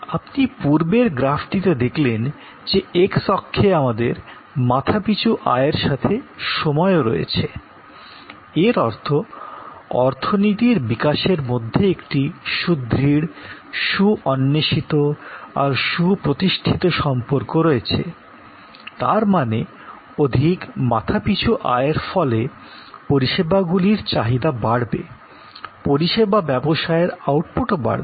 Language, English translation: Bengali, As you will see in the previous graph, that on the x axis we have time as well as per capita income; that means, there is a tight well researched well established co relation between the development of the economy; that means, that is more per capita income will enhance the demand for services, service business outputs will increase